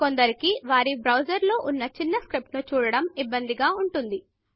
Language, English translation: Telugu, Some people have trouble looking at small script in their browsers